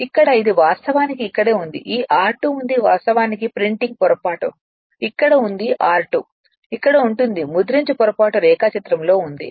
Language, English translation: Telugu, Here it is actually just hold on here it is there is a this r 2 dash actually printing mistake is here here r 2 dash would be there here right a printing mistake is there in the diagram